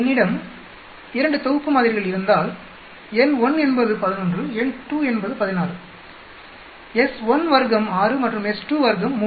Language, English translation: Tamil, If I have 2 sets of samples n1 is 11, n2 is 16, S1 square is 6 and S 2 square is 3